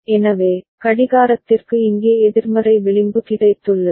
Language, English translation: Tamil, So, clock has got a negative edge over here